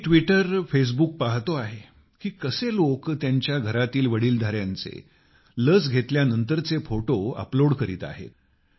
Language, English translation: Marathi, I am observing on Twitter Facebook how after getting the vaccine for the elderly of their homes people are uploading their pictures